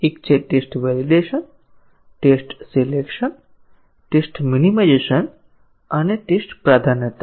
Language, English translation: Gujarati, One is test validation, test selection, test minimization and test prioritization